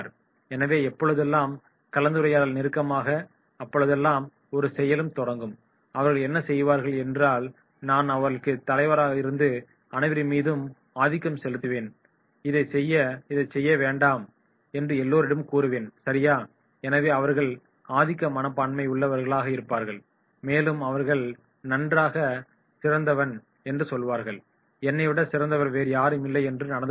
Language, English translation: Tamil, So whenever any discussion will start, any activity will start what they will do, they will say “I will be the leader, I will dominate all, I will ask everybody not to do this, I will ask everybody to do this, right” so therefore they are showing the dominance behaviour and they will say “I am the best” right, no other one